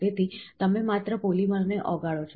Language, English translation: Gujarati, So, you just melt the polymers